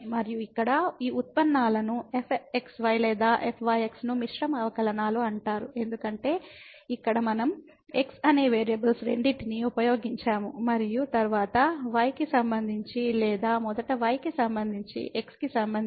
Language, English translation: Telugu, And these derivatives here or are called the mixed derivatives, because here we have used both the variables and then with respect to or first with respect to then with respect to